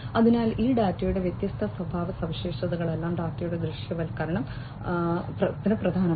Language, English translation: Malayalam, So, all these different character characteristics of this data the visualization of the data is important